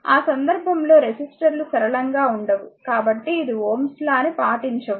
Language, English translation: Telugu, Because resistors may be non linear in that case, it does not obey the your Ohm’s law